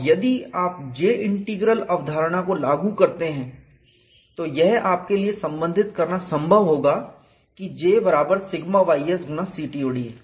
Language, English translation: Hindi, And if you apply J integral concept, it is possible for you to relate J equal to sigma y s into the CTOD